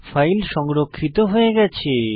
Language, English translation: Bengali, So the file is saved now